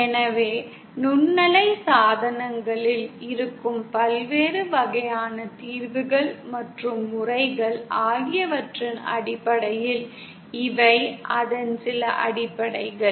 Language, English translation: Tamil, So these are some of the fundamentals as far as the various types of solutions and types of modes that are present in microwave devices